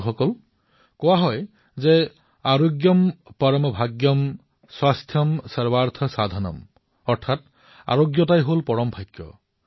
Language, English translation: Assamese, Friends, we are familiar with our adage "Aarogyam Param Bhagyam, Swasthyam Sarwaarth Sadhanam" which means good health is the greatest fortune